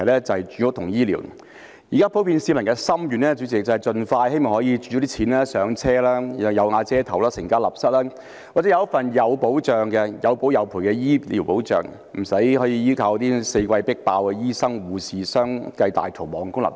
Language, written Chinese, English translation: Cantonese, 主席，現在普遍市民的心願是希望有足夠儲蓄可以盡快"上車"，有瓦遮頭，成家立室，或者有一份有保有賠的醫療保障，不需要依靠四季"迫爆"、醫生護士相繼大逃亡的公立醫院。, President the peoples common wish now is to have enough savings to buy a home as soon as possible so that they can have a place to live and organize a family or to take out medical insurance that can protect them and settle claims so that they do not need to rely on the public hospitals that are congested all year round with doctors and nurses joining the great exodus in droves